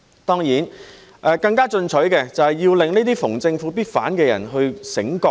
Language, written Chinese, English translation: Cantonese, 當然，更加進取的，就是要令這些逢政府必反的人醒覺。, Of course a more ambitious approach is to enlighten those who oppose the Government at every turn